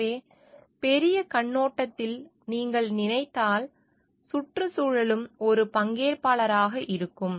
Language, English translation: Tamil, So, from larger perspective; so, if you think, environment also as a stakeholder